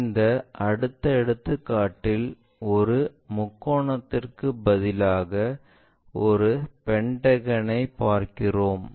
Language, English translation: Tamil, In this next example instead of a triangle we are looking at a pentagon